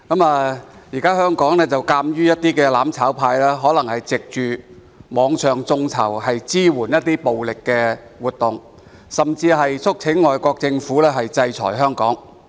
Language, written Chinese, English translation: Cantonese, 目前，香港的"攬炒派"藉網上眾籌支援暴力活動，甚至促請外國政府制裁香港。, Currently the mutual destruction camp in Hong Kong has financed violent activities by means of online crowdfunding and even called for foreign governments to sanction Hong Kong